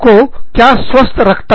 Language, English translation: Hindi, What keeps you healthy